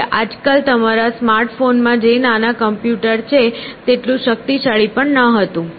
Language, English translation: Gujarati, It was not even as powerful as a small computer that you have on a smart phone nowadays